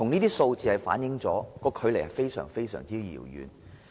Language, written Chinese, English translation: Cantonese, 這數字反映我們現在距離目標仍極為遙遠。, The figure reveals that we still have a very long way to go before we can achieve the objective